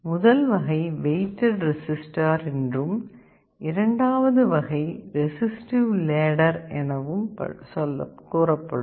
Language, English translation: Tamil, One is called weighted resistor type, other is called resistive ladder type